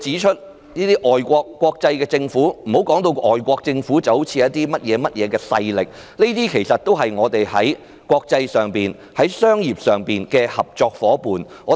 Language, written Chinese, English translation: Cantonese, 不要把外國政府、國際組織說成甚麼勢力，這些其實都是本港在國際商業上的合作夥伴。, Do not say that the governments of foreign countries or international organizations are foreign powers . They are actually Hong Kongs partners in international trade